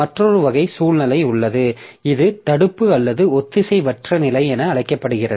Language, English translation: Tamil, There is another type of situation which is known as non blocking or asynchronous situation